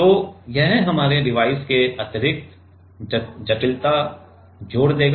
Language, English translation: Hindi, So, this will add extra complexity to our device